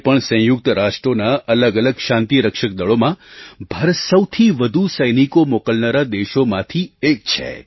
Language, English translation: Gujarati, Even today, India is one of the largest contributors to various United Nations Peace Keeping Forces in terms of sending forces personnel